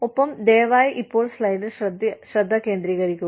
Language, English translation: Malayalam, And, please focus on the slide, now